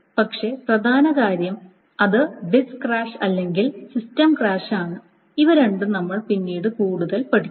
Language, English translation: Malayalam, But the important things is the disk crash or the system crash and these two, and then this is we will study much more